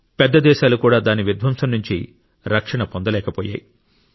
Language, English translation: Telugu, Even big countries were not spared from its devastation